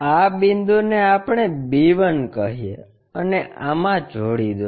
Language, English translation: Gujarati, Call this point our b1 and join this one